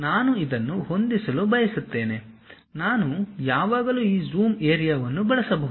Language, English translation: Kannada, I would like to adjust this; I can always use this Zoom to Area